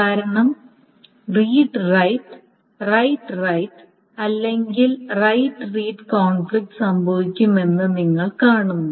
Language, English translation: Malayalam, Because you see that this read right conflicts, right right or right read conflicts will happen